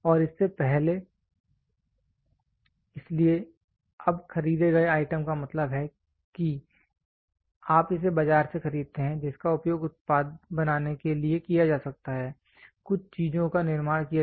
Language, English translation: Hindi, And before; so now bought out items means you buy it from the market which can be used to produce a product, certain things are manufactured